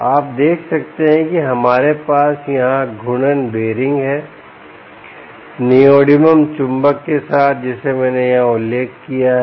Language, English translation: Hindi, you can see that, um, we have the rotating bearing here with the neodymium magnet that i mentioned right here